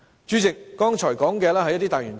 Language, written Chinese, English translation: Cantonese, 主席，我剛才說的是一些大原則。, President what I said just now are some general principles